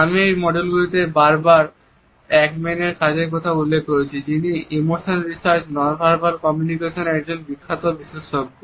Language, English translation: Bengali, In this module, I have repeatedly referred to the work of Paul Ekman who is a renowned expert in emotions research, a non verbal communication